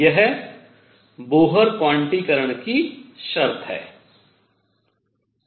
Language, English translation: Hindi, This is the Bohr quantization condition